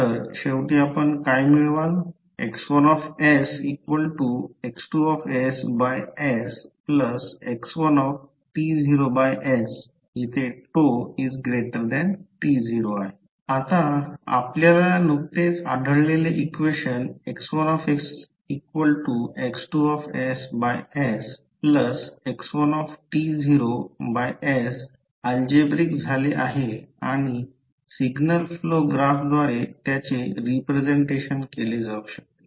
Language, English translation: Marathi, Now, the equation that is we have just found that is x1s is equal to x2s by s plus x1 t naught by s is now algebraic and can be represented by the signal flow graph